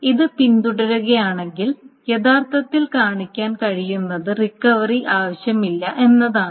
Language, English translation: Malayalam, And if this is followed, then actually what can be shown is that there is no recovery is needed